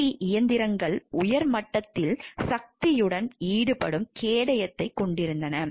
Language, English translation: Tamil, Competitive machines had a shield that would engage with the power were at high level